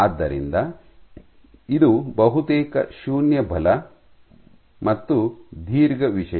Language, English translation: Kannada, So, this is almost 0 forces and a long thing